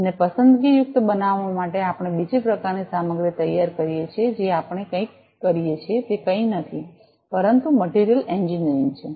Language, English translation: Gujarati, In order to make it selective we also do another type of material prepare whatever we do that is nothing, but materials engineering